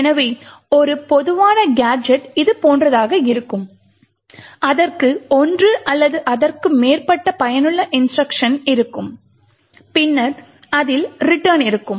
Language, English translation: Tamil, So, a typical gadget would look something like this, it would have one or more useful instructions and then it would have a return